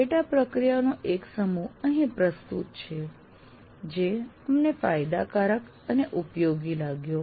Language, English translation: Gujarati, And here we will present you one set of sub processes that we found the advantages and useful